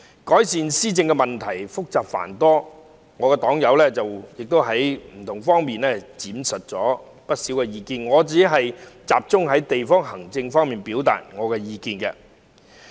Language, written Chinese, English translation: Cantonese, 改善施政問題複雜繁多，我的黨友在不同方面闡述了不少意見，我會集中在地區行政方面表達我的意見。, Improving governance involves many complicated issues . My party members have tendered many views from different perspectives and I will focus my view on district administration